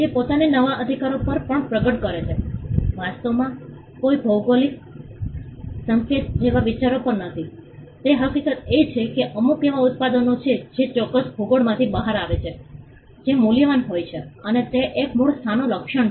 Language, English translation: Gujarati, It also manifests itself on the new rights are not actually on ideas like a geographical indication is not actually on some idea, it is the fact that there are certain products that come out of a particular geography which are valuable and it is an attribution to the origin of from that place